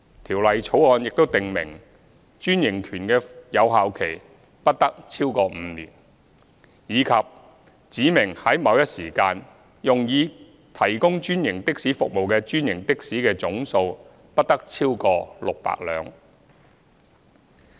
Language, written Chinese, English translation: Cantonese, 《條例草案》亦訂明專營權的有效期不得超過5年，以及指明在某一時間，用以提供專營的士服務的專營的士的總數，不得超過600輛。, The Bill also prescribes that the validity period of a franchise must not exceed five years and specifies that the total number of franchised taxis used for providing franchised taxi services at any one time must not exceed 600